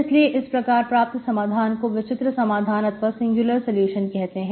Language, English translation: Hindi, So that is why it is called singular solution